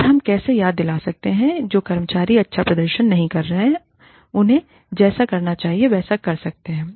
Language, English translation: Hindi, And, how we can remind employees, who are not performing, as well as they should, as to what, they can do